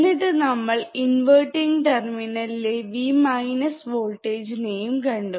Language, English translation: Malayalam, So, can you please check tThe voltage at the inverting terminal, yeah